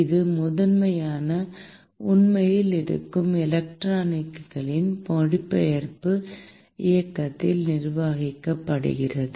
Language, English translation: Tamil, It is primarily governed by the translational motion of the electrons that is actually present